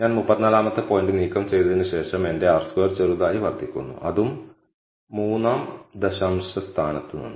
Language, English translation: Malayalam, So, after I remove the 34th point my R squared slightly increases; that is also from the 3rd decimal place